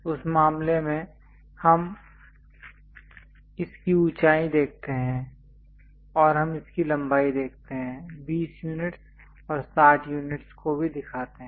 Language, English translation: Hindi, In that case we show its height and also we show its length, 20 units and 60 units